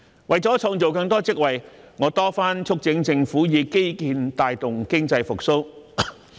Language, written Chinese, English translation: Cantonese, 為了創造更多職位，我多番促請政府以基建帶動經濟復蘇。, To create more posts I have repeatedly urged the Government to promote economic recovery through infrastructure projects